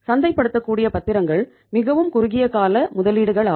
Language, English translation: Tamil, Marketable securities are very short term investments